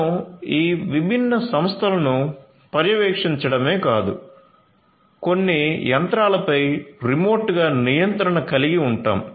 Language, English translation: Telugu, So, we are not only monitoring these different entities, but also we can have control over certain machinery, remotely